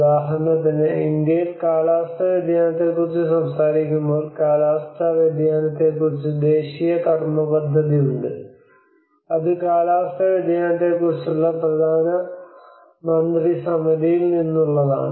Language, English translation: Malayalam, For instance in India when we talk about climate change adaptation, there are national action plan on climate change which is from the Prime Ministers Council on climate change